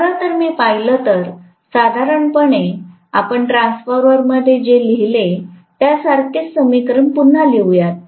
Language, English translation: Marathi, So, if I actually look at, if there are normally we write the equation again similar to what we wrote in the transformer